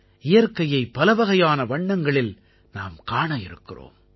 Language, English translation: Tamil, We will get to see myriad hues of nature